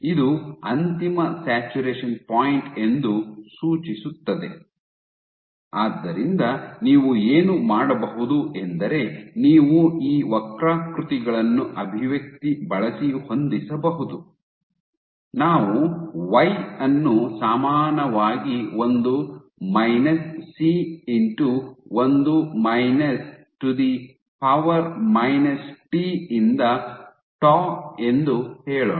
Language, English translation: Kannada, So, what you can do is you can fix these curves you can fix, you can fit these curves using an expression, let us say y equal to 1 minus C into 1 minus e to the power minus t by tau ok